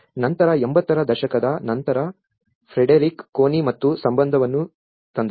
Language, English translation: Kannada, Later on, in after 80s where Frederick Connie and had brought the relation